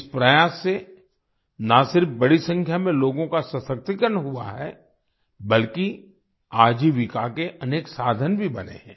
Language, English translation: Hindi, This effort has not only empowered a large number of people, but has also created many means of livelihood